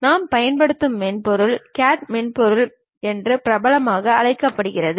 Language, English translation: Tamil, And the software whatever we use is popularly called as CAD software